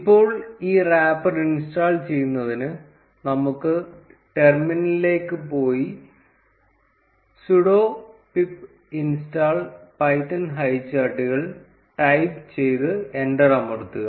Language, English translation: Malayalam, Now, to install this wrapper, let us go to the terminal and type sudo pip install python highcharts and press enter